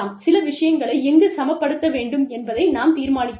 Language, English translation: Tamil, And then, we decide, where we need to balance out, certain things